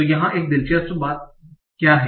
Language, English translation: Hindi, So now, so what is one interesting thing here